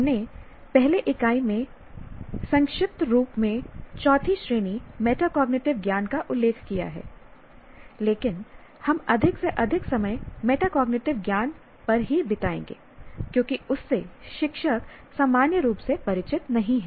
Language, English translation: Hindi, We mentioned the fourth category, namely metacognitive knowledge briefly in the earlier unit, but we'll spend more time on metacognitive knowledge simply because that is not something a teacher is not normally familiar with